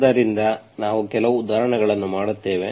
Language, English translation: Kannada, So we will do some examples